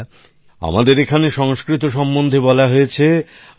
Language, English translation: Bengali, Friends, in these parts, it is said about Sanskrit